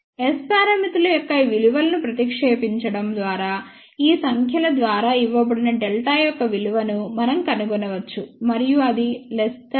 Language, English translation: Telugu, By substituting these values of S parameters, we can find out the value of delta which is given by these numbers and that is less than 1